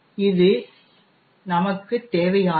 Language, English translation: Tamil, This is all that we require